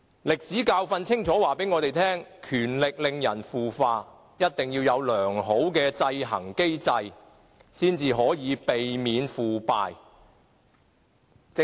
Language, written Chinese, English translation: Cantonese, 歷史教訓清楚告訴我們，權力令人腐化，一定要有良好的制衡機制，方能避免腐敗。, Lessons in history tell us clearly that power corrupts and a sound system of checks and balance must be put in place to prevent corruption